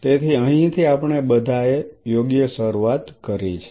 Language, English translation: Gujarati, So, this is where we all started right